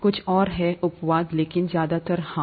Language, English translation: Hindi, There are a few exceptions, but mostly yes